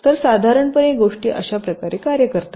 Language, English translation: Marathi, so, roughly, this is how things work